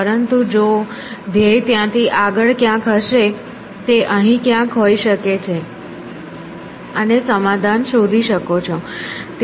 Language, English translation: Gujarati, But if the goal happens to be outside that like here which could be somewhere here, and find the solution